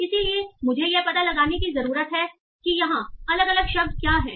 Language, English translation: Hindi, So I need to find out what are the different words here